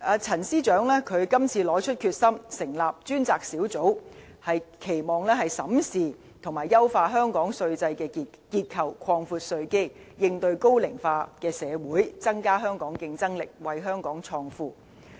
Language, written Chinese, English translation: Cantonese, 陳司長這次拿出決心，成立專責小組，是期望審視和優化香港稅制的結構，擴闊稅基，應對高齡化社會，增加香港競爭力，為香港創富。, Secretary Paul CHAN is determined to set up this unit in a bid to examine and enhance Hong Kongs tax regime and broaden the tax base to respond to an ageing population and strengthen our competitiveness so as to create wealth for Hong Kong